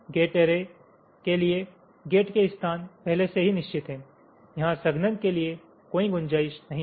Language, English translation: Hindi, for gate arrays, again, because the location of the gates are already, there is no scope for compaction here